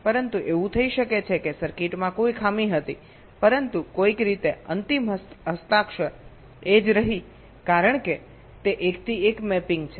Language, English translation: Gujarati, but it may so happen that there was some fault in the circuit, but somehow the sig final signature remained the same because its a many to one mapping